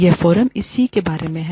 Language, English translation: Hindi, Which is what, the forum is about